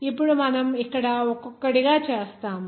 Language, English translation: Telugu, Now we will do that here one by one